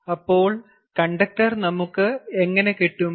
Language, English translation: Malayalam, so where do we get the conductor now